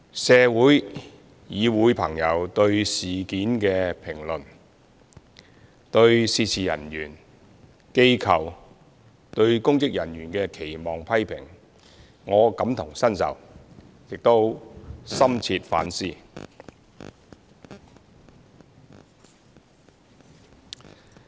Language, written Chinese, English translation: Cantonese, 社會、議會朋友對事件的評論，以及對涉事人員、機構、公職人員的期望和批評，我感同身受，亦深切反思。, I can empathize with the comments on the incident as well as the expectations and criticisms of the staff organizations and public officers concerned by those in the community and the Council with deep introspection